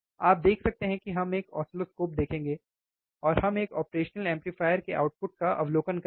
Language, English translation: Hindi, You can see we will see an oscilloscope and we will observe the output of operational amplifier